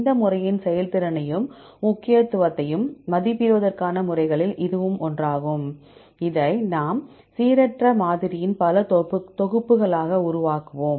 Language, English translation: Tamil, That is one of the methods to assess the performance of this method as well as significance, we will be making this as several sets of random sampling